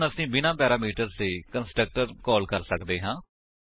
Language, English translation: Punjabi, So, now we can call the constructor with no parameters